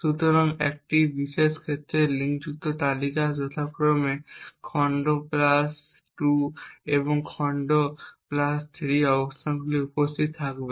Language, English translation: Bengali, So in this particular case the linked lists would be present at the locations chunk plus 2 and chunk plus 3 respectively